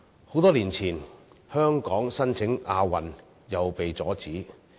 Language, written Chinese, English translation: Cantonese, 很多年前，香港申辦亞運也被阻止。, Many years ago there was also opposition to Hong Kongs bidding to host the Asian Games